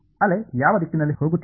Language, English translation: Kannada, Wave is going in which direction